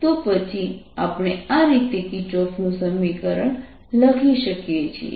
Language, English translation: Gujarati, now we can write kirchhoff's equation